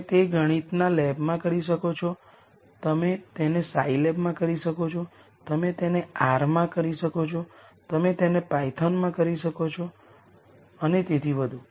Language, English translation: Gujarati, You could do it in math lab, you could do it in scy lab, you could do it in r, you could do it in python and so on